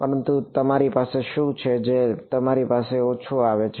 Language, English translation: Gujarati, But what do you have that comes back to you